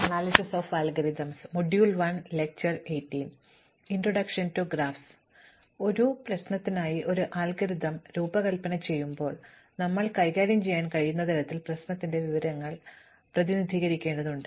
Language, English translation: Malayalam, So, when we design an algorithm for a problem, we need to represent the information of the problem in a way that we can manipulate